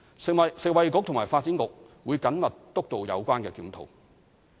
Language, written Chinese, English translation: Cantonese, 食物及衞生局及發展局會緊密督導有關檢討。, The Food and Health Bureau and the Development Bureau will closely steer the review